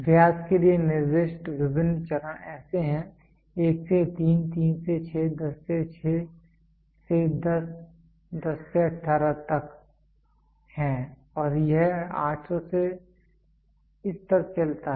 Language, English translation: Hindi, The various steps specified for the diameter are as follows 1 to 3, 3 to 6, 10 to 6 to 10, 10 to 18 and it goes on from 800 to this